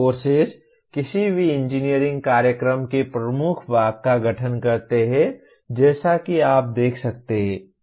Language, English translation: Hindi, Courses constitute the dominant part of any engineering program as you can see